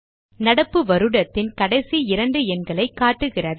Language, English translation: Tamil, It gives the last two digit of the current year